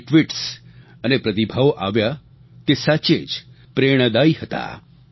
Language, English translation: Gujarati, All tweets and responses received were really inspiring